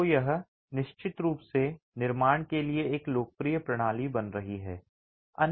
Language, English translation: Hindi, So, this is definitely becoming a popular system for construction